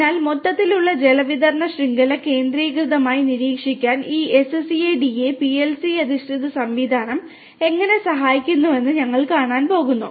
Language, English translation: Malayalam, So, we are going to see how this SCADA and PLC based system will help us to monitor centrally the overall water distribution network